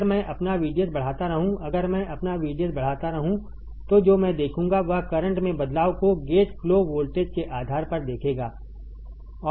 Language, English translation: Hindi, If I keep on increasing my VDS, if I keep on increasing my VDS then what I will see I will see the change in the current depending on the gate flow voltage